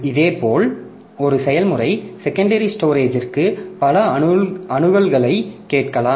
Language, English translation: Tamil, Similarly, a process can ask for a number of accesses to the secondary storage